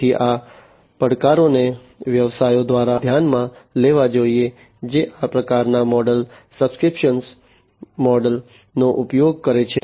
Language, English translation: Gujarati, So, these challenges have to be considered by the businesses, which go by the use of this kind of model the subscription model